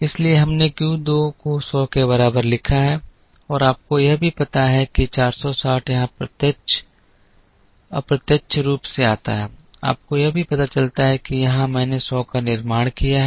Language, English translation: Hindi, So, we have written Q 2 equal to hundred and you also realize that 460 comes here indirectly you also realize that here I have produced hundred